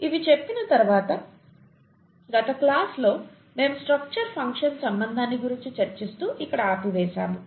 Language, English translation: Telugu, Having said these I think in the last class we stopped here the structure function relationship